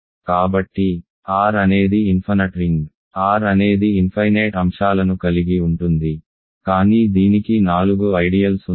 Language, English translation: Telugu, So, R is an infinite ring of course, R has infinitely many elements, but it has four ideals